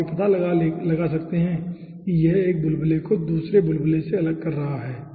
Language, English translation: Hindi, okay, so you can find out this is separating one bubble to another bubble